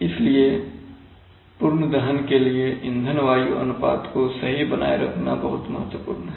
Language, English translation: Hindi, So for complete combustion it is very important to maintain fuel air ratios right